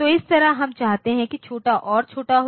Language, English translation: Hindi, So, that way we want that to be smaller and smaller